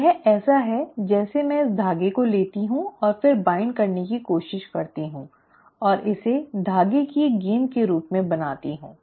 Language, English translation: Hindi, It is like I take this thread and then try to wind it and you know form it into a ball of thread